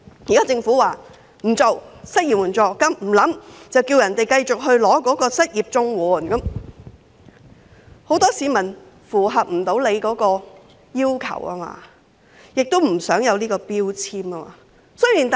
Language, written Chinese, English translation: Cantonese, 現在政府說不會考慮設立失業援助金，叫市民繼續申請失業綜援，但很多市民無法符合相關要求，也不想被標籤。, The Government now says that it will not consider setting up an unemployment assistance . It tells people to continue to apply for the Comprehensive Social Security Assistance for the unemployed but many people cannot meet the relevant requirements . They do not want to be labelled either